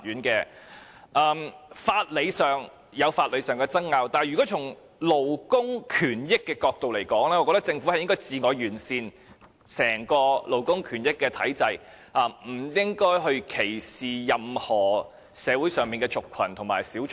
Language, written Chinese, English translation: Cantonese, 在法理上有法理上的爭拗，但如果從勞工權益的角度來看，我認為政府是應該自我完善整個勞工權益體制，不應該歧視社會上任何族群和小眾。, There are arguments over points of law but from the angle of labour rights I think the Government should improve the entire labour rights framework of its own accord and should not discriminate against any group or minority in society